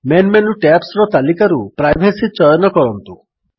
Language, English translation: Odia, Choose the Privacy tab from the list of Main menu tabs